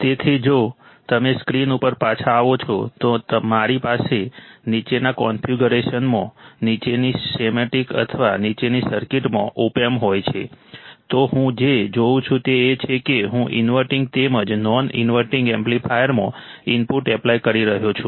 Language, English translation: Gujarati, So, if you come back to the screen, so if I have an opamp in the following configuration, in the following schematic or following circuit, then what I see is that I am applying an input to the inverting as well as non inverting amplifier correct applying an input to the inverting as well as non inverting terminal of the amplifier